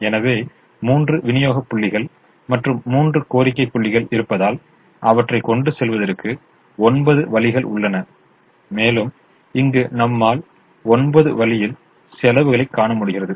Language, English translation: Tamil, so, since there are three supply points and three demand points, there are nine ways of transporting them and you are able to see nine costs that are written here